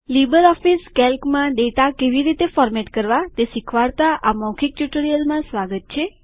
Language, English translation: Gujarati, Welcome to the Spoken tutorial on LibreOffice Calc – Formatting Data in Calc